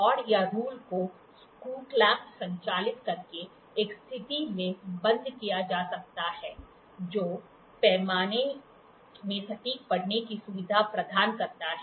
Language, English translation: Hindi, The rod or rule can be locked into a position by operating a screw clamp which facilitates accurate reading of the scale